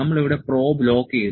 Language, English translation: Malayalam, We have locked the probe here